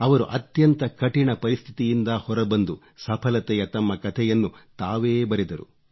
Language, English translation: Kannada, He overcame the adverse situation and scripted his own success story